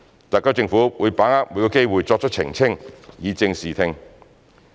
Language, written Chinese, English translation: Cantonese, 特區政府會把握每個機會作出澄清，以正視聽。, The SAR Government will seize every opportunity to make clarification so as to set the record straight